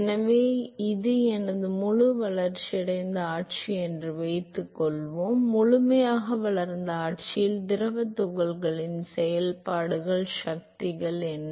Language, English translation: Tamil, So, suppose this is my fully developed regime, what are the forces that are acting on the fluid particles in the fully developed regime